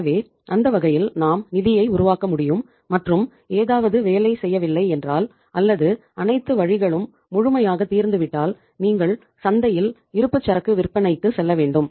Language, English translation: Tamil, So it means in that way we can generate the funds and if if anything is means not working or maybe all the avenues have been fully exhausted then you have to go for the selling of inventory in the market